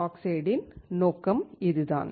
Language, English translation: Tamil, This is what the purpose of the oxide can be